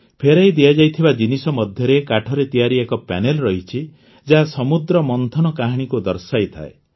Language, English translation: Odia, Among the items returned is a panel made of wood, which brings to the fore the story of the churning of the ocean